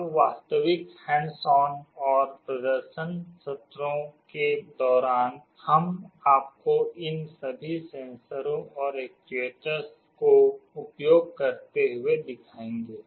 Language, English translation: Hindi, Now during the actual hands on and demonstration sessions, we shall be showing you all these sensors and actuators in use